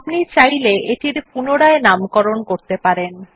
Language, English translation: Bengali, You may rename it if you want to